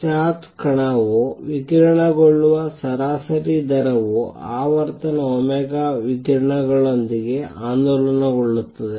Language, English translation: Kannada, This is the average rate at which a charge particle radiates the charge particle is oscillating with frequency omega radiates